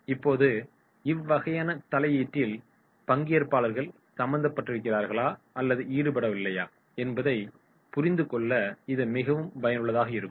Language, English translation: Tamil, Now, this type of the intervention that becomes very much useful to understand whether the participants are involved or they are not involved